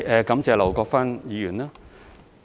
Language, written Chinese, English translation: Cantonese, 感謝劉國勳議員。, Thank you Mr LAU Kwok - fan